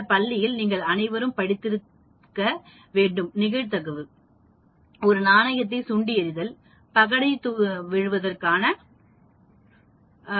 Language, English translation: Tamil, You must have all read in your school talking about probability, tossing a coin, tossing a dice and so on actually